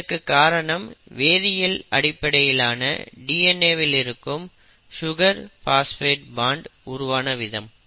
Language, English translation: Tamil, And that is simply because of the chemistry by which the sugar phosphate bond in DNA is actually formed